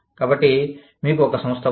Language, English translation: Telugu, So, you have an organization